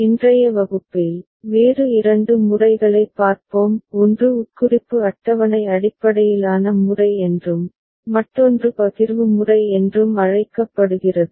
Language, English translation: Tamil, In today’s class, we shall look at two other methods; one is called Implication Table based method, another is called Partitioning Method